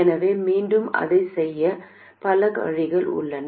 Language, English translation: Tamil, So, again, there are many ways to do this